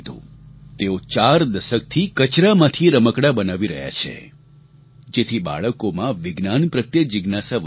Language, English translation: Gujarati, He has been making toys from garbage for over four decades so that children can increase their curiosity towards science